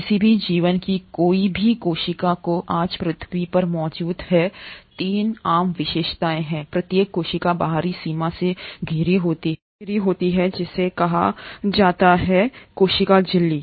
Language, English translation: Hindi, Any cell of any organism which is existing on earth today has 3 common features is that is each cell is surrounded by an outer boundary which is called as the cell membrane